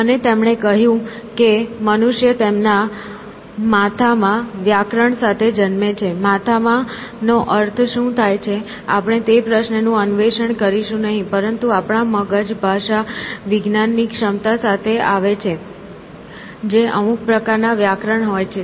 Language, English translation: Gujarati, And, he said that human beings are born with grammar in their heads, whatever that means in the heads, we will not explore that question, but essentially our brains come prewired with the faculty of linguistic ability which is, sort of, some kind of a grammar